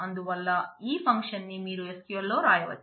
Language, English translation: Telugu, So, this you can write this function in SQL